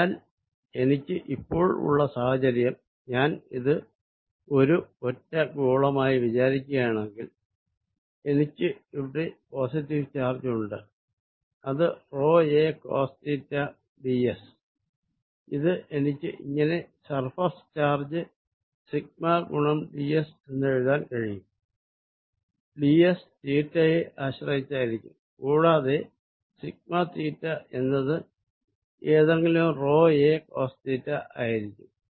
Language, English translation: Malayalam, So, what I have the situation now if I think of this as single sphere, I have positive charge here which is rho a cosine of theta d s which I can write as a surface charge density sigma times d s, where sigma depends on theta and sigma theta is equal to some rho a cosine of theta